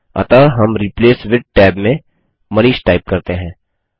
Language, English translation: Hindi, So we type Manish in the Replace with tab